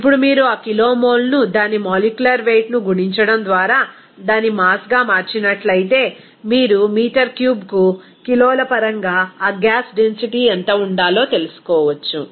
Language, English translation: Telugu, Now, if you convert that kilomole into its mass by multiplying its molecular weight, then you can simply get that what should be the density of that gas in terms of kg per meter cube